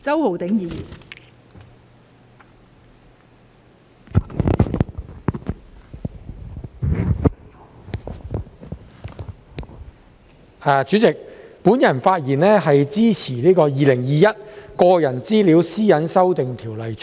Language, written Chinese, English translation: Cantonese, 代理主席，我發言支持《2021年個人資料條例草案》。, Deputy President I rise to speak in support of the Personal Data Privacy Amendment Bill 2021 the Bill